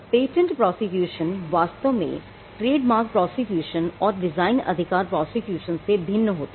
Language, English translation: Hindi, Patent prosecution actually is different from a trademark prosecution or design right prosecution